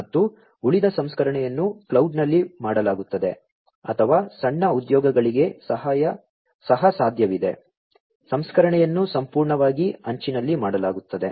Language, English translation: Kannada, And the rest of the processing will be done at the cloud or it is also possible for small jobs, the processing will be done completely at the edge